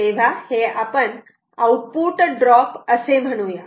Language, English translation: Marathi, so so lets say the output drops